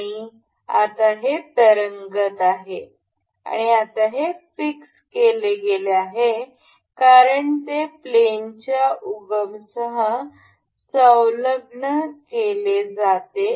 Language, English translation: Marathi, And now because this is now floating, and this is fixed now because it has to be attached with the origin of the plane